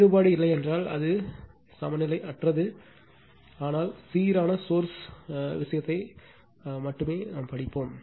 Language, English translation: Tamil, If it is not if one of the difference, then it is unbalanced but, we will study only balanced thing for this source right